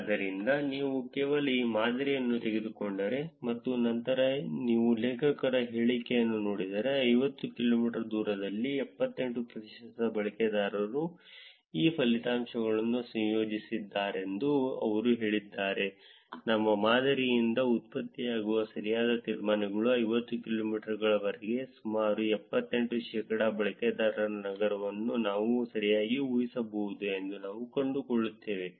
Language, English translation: Kannada, So, if you just take this model, and then if you look at the author's claim that 78 percent of the users within 50 kilometers of distance, which is what they are saying is combining these results with the correct inferences produced by our model, we find that we can correctly infer the city of around 78 percentage of the users within 50 kilometers